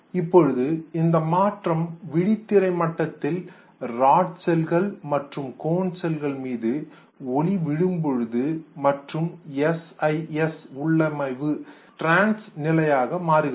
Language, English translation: Tamil, Now this very transformation, at the level of retina, the rod cells and the con cells, the light falls and the CIS configuration becomes in the trans state